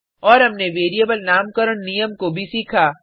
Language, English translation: Hindi, And We have also learnt the rules for naming a variable